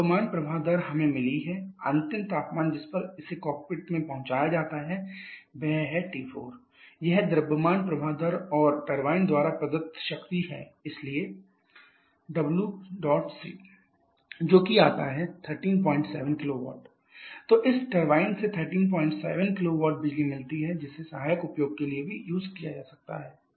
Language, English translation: Hindi, The mass flow rate we have got the final temperature at which it is delivered to the cockpit is it is T 4 this is the mass flow rate and power delivered by the turbine, so W dot T will be equal to this mass flow rate into the change in enthalpy that is CP into T 3 T 4 which is coming as 13